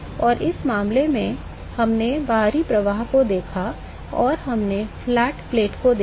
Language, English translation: Hindi, And in this case we looked at external flows and we looked at flat plate